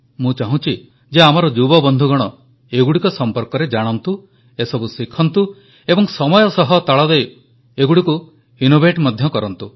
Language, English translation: Odia, I would like our young friends to know more about them learn them and over the course of time bring about innovations in the same